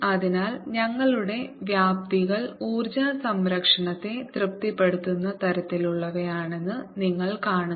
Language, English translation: Malayalam, so you see that our amplitude are such that they also satisfy energy conservation